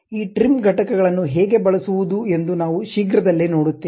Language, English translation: Kannada, We will shortly see how to use these trim entities